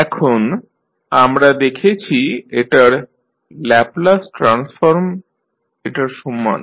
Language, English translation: Bengali, Now, the Laplace transform of this we saw equal to this